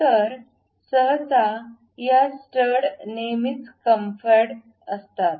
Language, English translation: Marathi, So, usually these studs are always be chamfered